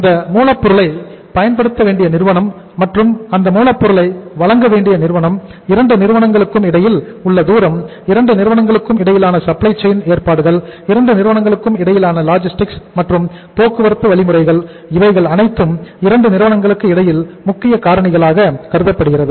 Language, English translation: Tamil, The firm who has to make use of that raw material and the firm who has to supply that raw material, the distance between the 2 firms, the supply chain arrangements between the 2 firms, the logistics between the 2 firms and the means of transportation in between the 2 firms are important factors